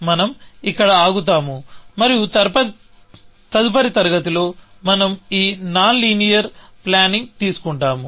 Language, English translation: Telugu, So, we will stop here, and in the next class, we will take up this non linear planning